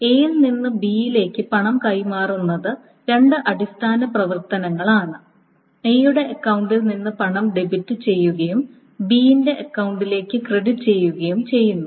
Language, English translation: Malayalam, See the transfer of money from A to B consists of two operations, two basic operations, debiting money from A's account and crediting to B's account